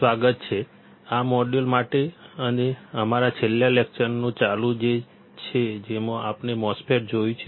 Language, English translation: Gujarati, Welcome; to this module and this is a continuation of our last lecture in which we have seen the MOSFET